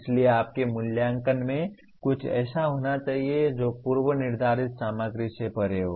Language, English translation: Hindi, So your assessment should include something which is beyond the predetermined content